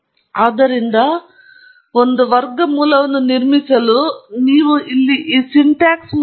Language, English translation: Kannada, So, to build a quadratic model, you can go through this syntax here, and this is something that you may want to pay closer attention to